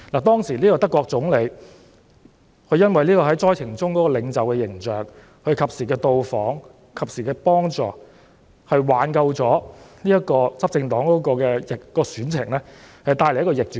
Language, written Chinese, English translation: Cantonese, 當時德國總理因為在災情中展現的領袖形象，加上他及時到訪災區和及時提供幫助，最後挽救了執政黨的選情，並且帶來逆轉。, Given the image of leadership portrayed by the German Premier during the disaster coupled with his timely visits to the affected areas and timely assistance the ruling party was eventually saved in the election and the result was reversed